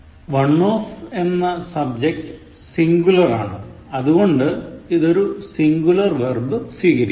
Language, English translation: Malayalam, The subject “one of” is singular, hence, it will take a singular verb